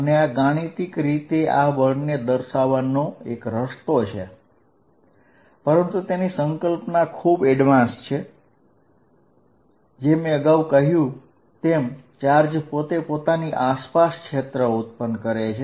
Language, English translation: Gujarati, So, that is the way I am defining it mathematically, but conceptually is a advance, as I said, what we are actually suggesting is, given a charge distribution q, it is creating a field around itself